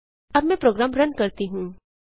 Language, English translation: Hindi, Let me run the program now